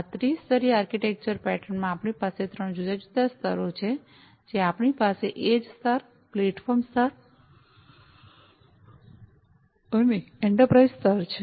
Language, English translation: Gujarati, In this three tier architecture pattern, we have three different layers we have the edge layer, the platform layer and the enterprise layer